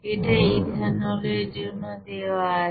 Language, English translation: Bengali, For ethanol it is one